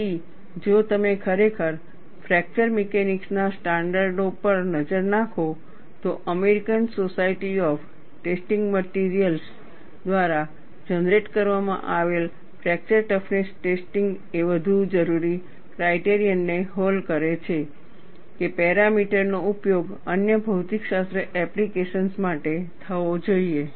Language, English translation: Gujarati, So, if you really look at the standards in fracture mechanics, the fracture toughness testing generated by American Society of Testing Materials does meet the more demanding criterion, that the parameter should be used for other physics applications